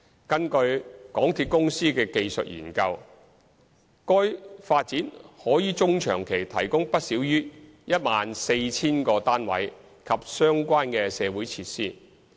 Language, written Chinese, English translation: Cantonese, 根據港鐵公司的技術研究，該發展可於中長期提供不少於 14,000 個單位及相關社區設施。, According to MTRCLs technical studies the topside development at the Siu Ho Wan Depot Site can provide no less than 14 000 flats and related community facilities in the medium to long term